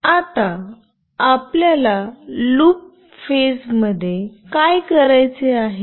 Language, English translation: Marathi, Now in the loop phase what we have to do